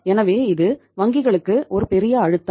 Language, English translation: Tamil, So this is a big pressure on the banks